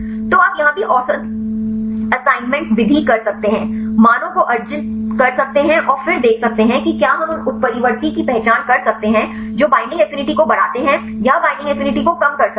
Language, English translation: Hindi, So, you can do the average assignment method like here also, arginine the values and then see whether we can identify the mutants which increase the binding affinity decrease the binding affinity or whether we can able to predict the binding affinity